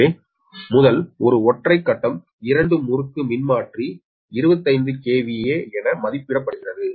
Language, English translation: Tamil, so first, one is a single phase two winding transformer is rated twenty five k v a